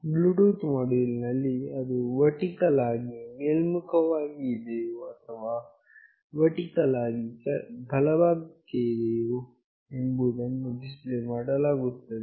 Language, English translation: Kannada, In the Bluetooth module, it will be displayed whether it is vertically up or it is vertically right